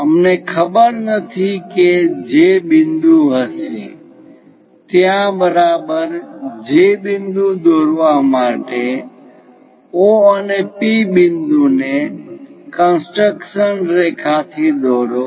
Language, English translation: Gujarati, Now, we do not know where exactly this J point will be there to construct the J point what we are going to do is join O and P points joined by a construction line